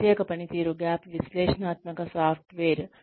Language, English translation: Telugu, Special performance gap analytical software